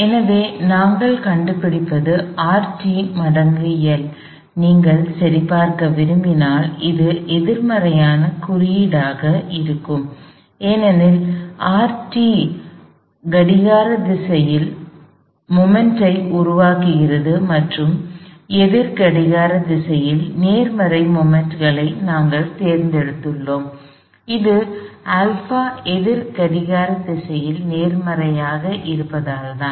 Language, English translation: Tamil, So, what we find is R sub t times L, if you want to be correct, it has to be a negative sign, because R t produces a clockwise moment and we have chosen counter clockwise moments positive and that is because alpha is counter clockwise positive